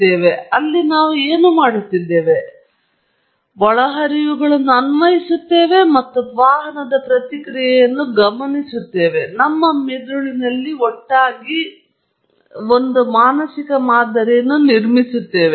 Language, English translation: Kannada, So, what we are doing there is, we are applying inputs, and observing the response of the vehicle, putting it all together in our brain, and building a mental model